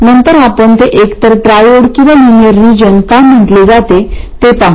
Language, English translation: Marathi, Later we will see why it's called either triode or linear region